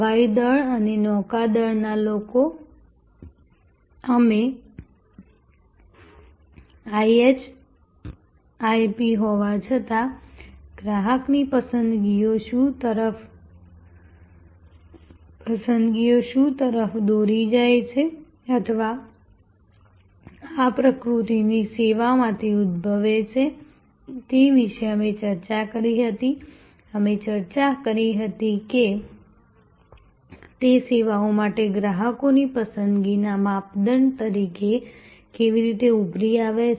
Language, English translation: Gujarati, The air force and the Navy people, we discussed about the, what leads to customer preferences in spite of the IHIP or rather arising out of this nature service, we had discussed how these emerge as customers preference criteria for services